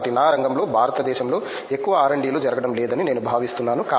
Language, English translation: Telugu, So, in my field I feel that not much R&Ds happening in India